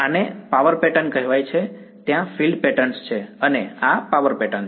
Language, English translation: Gujarati, This is called the power pattern there is the field pattern and this is the power pattern